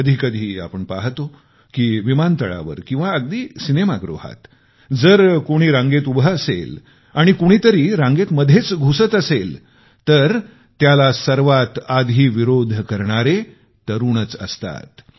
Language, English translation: Marathi, There are times when we see them at an airport or a cinema theatre; if someone tries to break a queue, the first to react vociferously are these young people